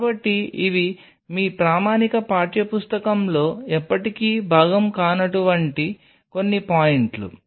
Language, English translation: Telugu, So, these are some of the points which will never be part of your standard textbook